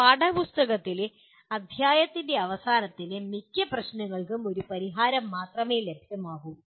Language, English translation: Malayalam, For most of the end of the chapter problems in a text book there is only one solution available